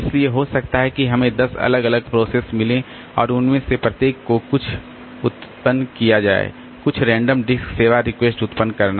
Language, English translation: Hindi, So, maybe that we have got say 10 different processes and each of them they are generated some generating some random disk service requests